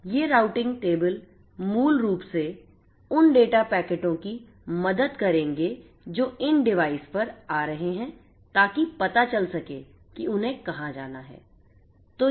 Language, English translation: Hindi, These routing tables will basically help the data packets that are coming to these devices to know where they are going to go to